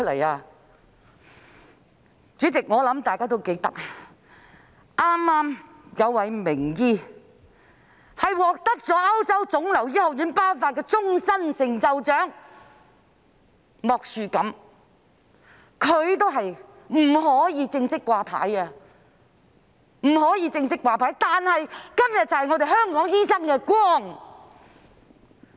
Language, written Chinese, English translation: Cantonese, 代理主席，我想大家都記得，早前有位名醫獲得歐洲腫瘤學會頒發"終身成就獎"，他便是莫樹錦醫生，他也不能正式"掛牌"，但他是今天香港醫生之光。, Deputy President I think Members must all remember that earlier a renowned doctor was bestowed with the European Society for Medical Oncology Lifetime Achievement Award . He is Dr Tony MOK but even he is not allowed to serve as a fully - registered doctor . He is the glory of Hong Kong doctors nowadays